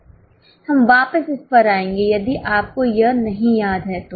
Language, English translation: Hindi, We will go back a bit if you are not, if you don't remember it